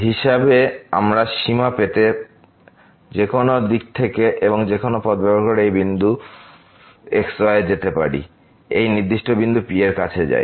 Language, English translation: Bengali, We can approach from any direction and using any path to this point to get the limit as approaches to this particular point P